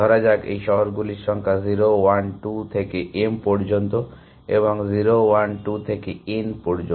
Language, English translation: Bengali, Let us say, this cities are numbered 0, 1, 2 up to m and 0, 1, 2 up to n